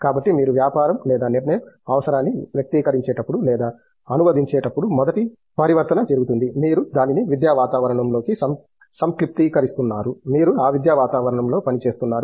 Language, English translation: Telugu, So, the first transformation happens when you are articulating or translating a business or a decision need; you are abstracting that into an academic environment, you are working in that academic environment